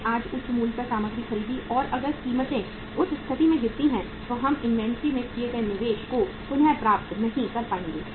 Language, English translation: Hindi, We purchased the material today at the high price and if the prices fall down in that case we would not be able to recover the investment in the made in the inventory